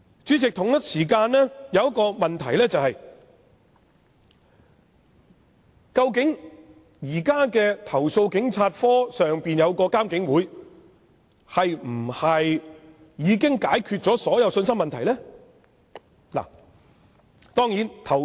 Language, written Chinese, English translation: Cantonese, 主席，我們同時面對一個問題：究竟現時設於投訴警察課之上的獨立監察警方處理投訴委員會，是否已能解決所有信心問題呢？, Chairman there is another problem that we are facing at the same time Whether the establishment of the Independent Police Complaints Council IPCC to monitor and review the investigations undertaken by CAPO an adequate measure to address all credibility issues?